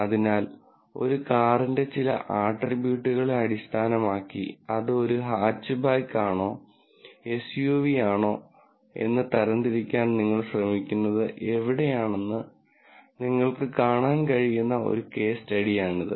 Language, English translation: Malayalam, So, this is a case study which you will see later where, based on certain attributes of a car, you are trying to classify whether it is a Hatchback or an SUV